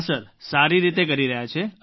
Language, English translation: Gujarati, Yes Sir, they are doing it well